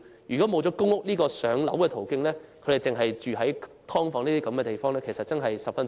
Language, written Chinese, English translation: Cantonese, 如果沒有公屋"上樓"這個途徑，他們便只能在"劏房"居住，處境真的十分淒慘。, If they are not allocated public housing they can only live in subdivided units which is really most miserable